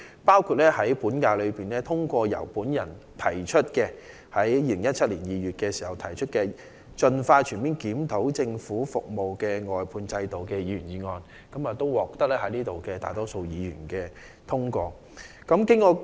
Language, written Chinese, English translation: Cantonese, 本屆立法會在2017年2月通過了由我提出的"盡快全面檢討政府的服務外判制度"的議員議案，並獲得大多數議員支持。, My Members motion on Expeditiously conducting a comprehensive review of the Governments service outsourcing system was passed with the majority support of Members during the present term of the Legislative Council in February 2017